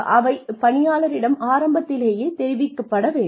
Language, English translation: Tamil, That should be declared earlier, to the employee